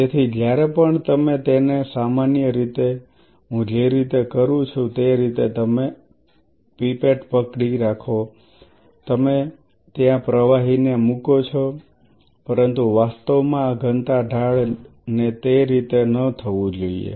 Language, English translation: Gujarati, So, whenever you are pipetting it generally the way we do it you hold the pipette and you just you know dumb the fluid out there, but actually this density gradient should not be done like that